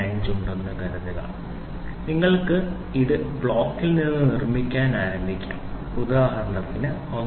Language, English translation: Malayalam, 545 you can start building this from the block for example, 1